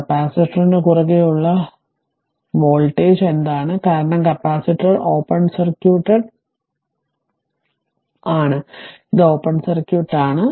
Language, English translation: Malayalam, And then what is the voltage across the capacitor, because capacitor is open circuit, this is open circuit